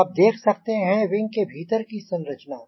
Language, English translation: Hindi, so now you can see the internal structure of the wing